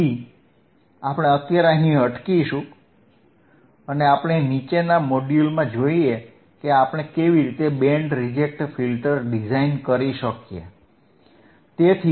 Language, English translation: Gujarati, So, we will we will stop here right now and let us let us see in the in the following module right how we can design a Band Reject Filter